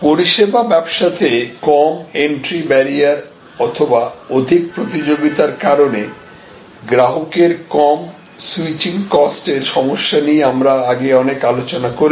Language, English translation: Bengali, We had discussed a lot about the problems with respect to low entry barrier in service business or low switching cost due to hyper competition